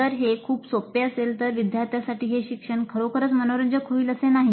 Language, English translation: Marathi, If it is too easy the learning is not likely to be really interesting for the students